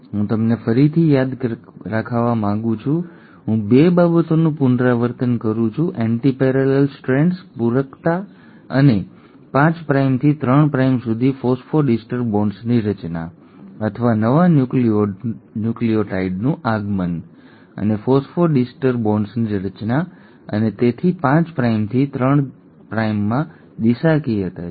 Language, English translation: Gujarati, Now, I will, want you to remember again I am reiterating 2 things, antiparallel strands, complementarity and formation of phosphodiester bonds from 5 prime to 3 prime, or the incoming of the newer nucleotide and formation of a phosphodiester bonds and hence are directionality in 5 prime to 3 prime